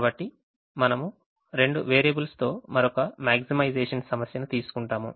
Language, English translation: Telugu, so we take another maximization problem with two variables